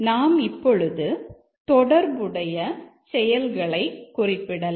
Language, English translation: Tamil, So, we can represent now the corresponding actions